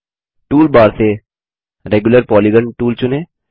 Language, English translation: Hindi, Select Regular Polygon tool from the toolbar